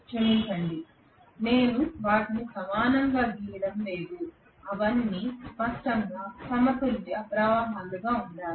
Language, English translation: Telugu, I am sorry am not drawing them equally well they should all be balanced currents obviously okay